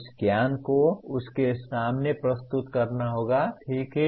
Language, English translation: Hindi, That knowledge will have to be presented to him, okay